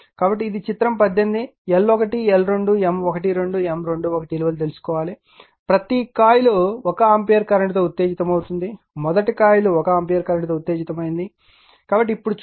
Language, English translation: Telugu, So, you have to find out this is figure 18, L 1, L 2, M 1 2, M 2 1 each coil is excited with 1 ampere current first will see that coil 1 is excited with 1 ampere current right